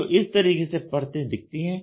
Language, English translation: Hindi, So, this is how the layer looks like